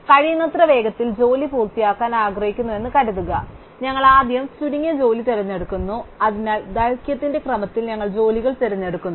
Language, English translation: Malayalam, So, suppose we want to finish jobs as quickly as possible, so we choose a shortest job first, so we choose jobs in increasing order of length